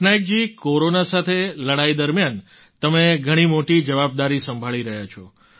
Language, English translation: Gujarati, Patnaik ji, during the war against corona you are handling a big responsibility